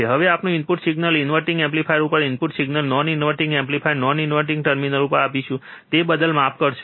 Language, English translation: Gujarati, Now, we will apply input signal, input signal to the inverting amplifier, non inverting amplifier non inverting terminal, sorry about that